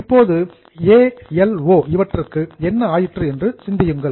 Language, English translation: Tamil, Now, can you think of what has happened to ALO